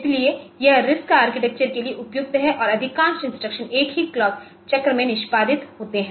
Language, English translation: Hindi, So, so, that is that makes it suitable for RISC architecture and most instructions execute in a single clock cycle